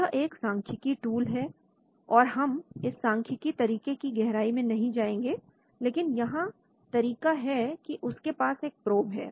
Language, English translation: Hindi, This is a statistical tool, statistical approach so we will not go into that but what approach is they have a probe